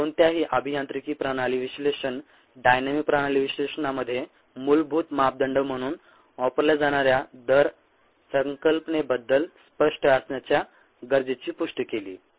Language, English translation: Marathi, we reaffirmed the need to be clear about the concept of rate as a basic parameter in any ah engineering system analysis, dynamics, system analysis